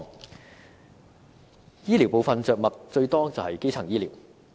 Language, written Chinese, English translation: Cantonese, 在醫療部分，着墨最多的是基層醫療。, In the part on health care services most paragraphs are devoted to primary health care